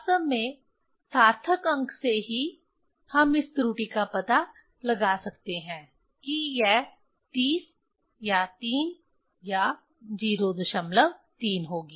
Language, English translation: Hindi, Actually from significant figure itself, we can find out this error it will be 30 or 3 or 0